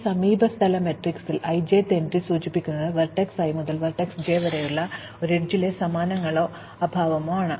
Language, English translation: Malayalam, In this adjacency matrix, the i j’th entry indicates the presence or absence of an edge from vertex i to vertex j